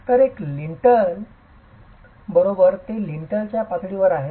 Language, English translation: Marathi, So a single lintel, right, it's at the lintel level